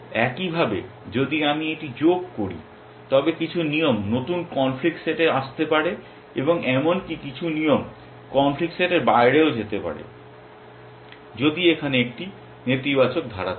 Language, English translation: Bengali, Likewise if I have add this some new rules may come into the conflict set and may be some rules might even go out of the conflict set, if there was a negative clause here